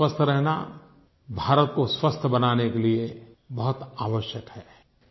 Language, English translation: Hindi, Your staying healthy is very important to make India healthy